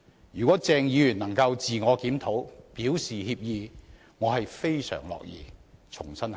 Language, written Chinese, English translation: Cantonese, 如果鄭議員能夠自我檢討，表示歉意，我非常樂意重新考慮。, If Dr CHENG could reflect on himself and extend his apology I would be more than willing to consider the issue afresh